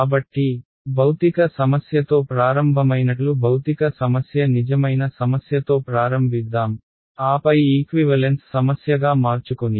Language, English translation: Telugu, So, let us let us start with start with the real problem the physical problem like earlier started with physical problem and then the converted into an equivalent problem